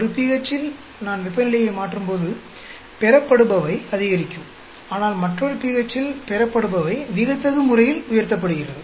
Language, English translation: Tamil, At one pH, the yield goes up as I change temperature; but at another pH, yield is dramatically raising